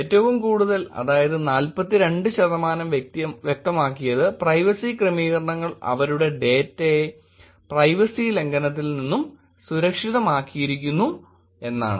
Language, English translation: Malayalam, About 42 percent, the highest was about 42 percent who said that specified my privacy settings my data is secured from a privacy breach